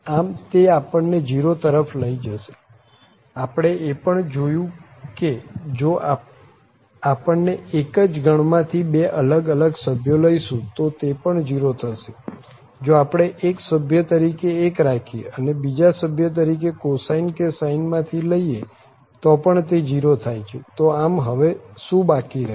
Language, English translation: Gujarati, So, this will also lead to 0, so we have also seen that if we take two different members from the same family it is going to be 0, if we take fix 1 as a member and take any other member from the cosine or from the sine that is 0, so what is left now